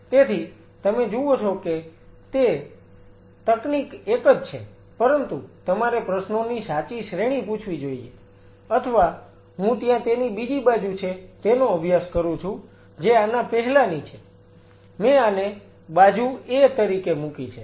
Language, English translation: Gujarati, So, you see technique is one, but one has to ask the right set of questions or I study there is another side which is previous to this one I put this is A as a B side